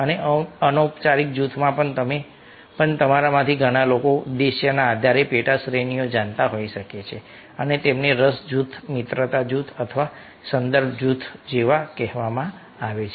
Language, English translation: Gujarati, there might be lots of, you know, sub categories based on the purpose and they are called, like interest group, friendship group or reference group